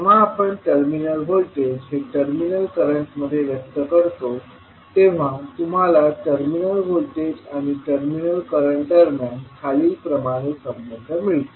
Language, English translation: Marathi, So, when we express terminal current in terms of terminal voltages, you will get a relationship between terminal voltage and terminal current as follows